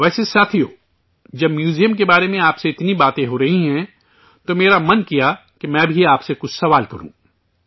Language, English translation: Urdu, By the way, friends, when so much is being discussed with you about the museum, I felt that I should also ask you some questions